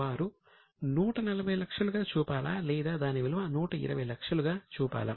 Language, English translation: Telugu, Should they value at 140 or they should value at 120